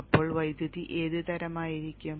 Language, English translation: Malayalam, So what should be the type of the current